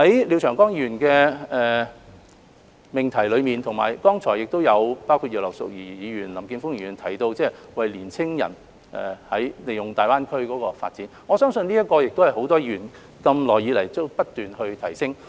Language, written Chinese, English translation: Cantonese, 廖長江議員提出的議案題目，以及剛才葉劉淑儀議員及林健鋒議員均有提到的是年青人利用大灣區發展，而我相信這亦是很多議員一直希望提升的範疇。, The motion of Mr Martin LIAO and the earlier speeches of Mrs Regina IP and Mr Jeffrey LAM all mentioned that young people should seek development in GBA . I believe this is the area that many Members wish to enhance